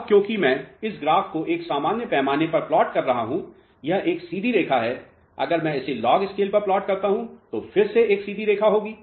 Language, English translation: Hindi, Now, because I am plotting this graph on a normally scale it is a straight line, if I plot it on a log scale this again would be a straight line